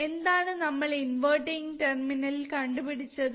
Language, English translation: Malayalam, Now what we measure at inverting terminal